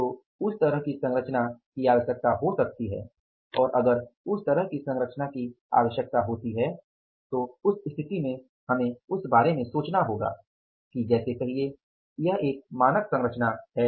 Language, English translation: Hindi, So, that kind of the composition may be required and if that kind of the composition is required in that case we will have to think about that say that is the standard composition